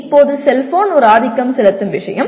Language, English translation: Tamil, Now a cellphone is a dominant thing